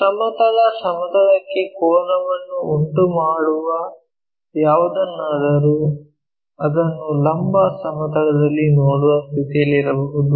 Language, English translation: Kannada, Anything inclined to horizontal plane we can be in a position to see it in the vertical plane